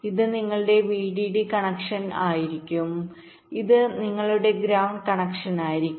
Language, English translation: Malayalam, this will be your vdd connection, this will be your ground connection